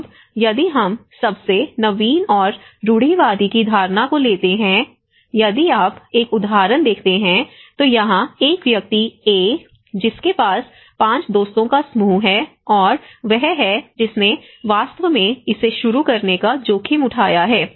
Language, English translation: Hindi, Now, if we take the perception of the most innovative and the conservative, if you see an example now, here a person A who have a group of 5 friends and he is the one who have actually taken the risk of starting it